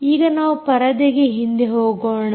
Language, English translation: Kannada, go back to the screen here